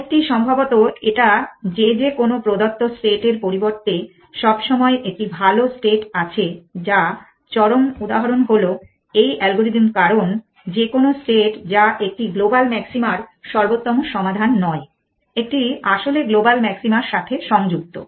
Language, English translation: Bengali, The mold likely it is that for any given say there is always a better state which the extreme example is this algorithm because any state which is not a optimal solution a global maxima has is connected to the global maxima